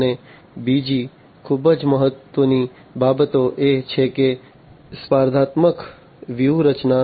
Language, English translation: Gujarati, And also another very important thing is the competitive strategy